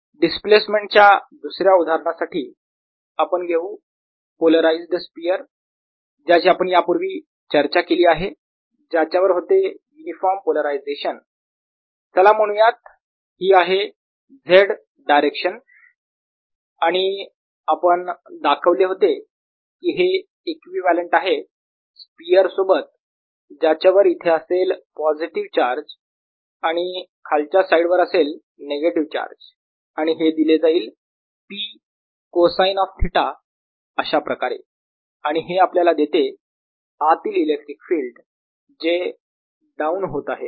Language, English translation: Marathi, as a second example for displacement, let's take a polarized sphere that we had talked about earlier, with polarization being uniform and let's say this z direction, and what we showed was that this is equivalent to a sphere with positive charge here and negative charge on the lower side, with this being given as p cosine of theta, and this gave an electric field inside which is going down